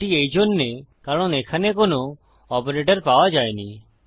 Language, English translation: Bengali, This is because, there is no operator to be found here